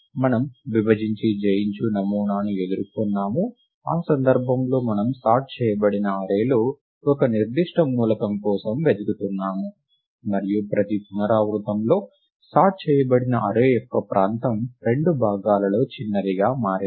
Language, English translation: Telugu, We encountered the divide and conquer paradigm, where in that case we were searching for a particular element in a sorted array, and in every iteration the region of the array which is sorted, became smaller by a fraction of two